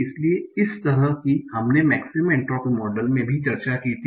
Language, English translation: Hindi, What is the single problem with this maximum entropy model